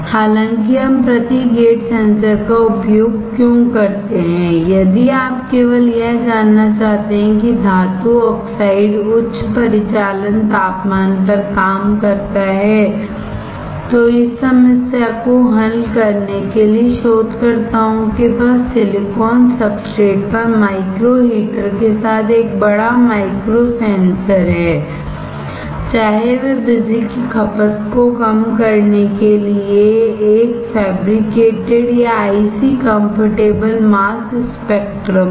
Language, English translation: Hindi, However, why we use this per gate sensor; if you just want to know that metal oxide operates at high operating temperature, to solve this problem researchers have a bigger micro sensor, with micro heater on silicon substrate whether it is a fabricated or icy comfortable mass spectrum to reduce the power consumption